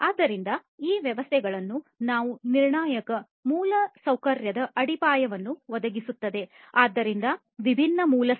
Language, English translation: Kannada, So, these systems will provide the foundation of our critical infrastructure; so, different infrastructure